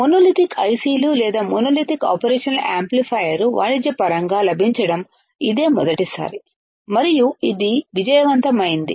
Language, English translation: Telugu, This was the first time when monolithic ICs or monolithic operation amplifier was available commercially, and it was successful